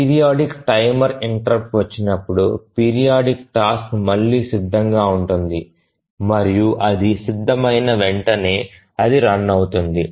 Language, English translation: Telugu, And again, as the periodic timer interrupt comes, the periodic task again becomes it arrives or becomes ready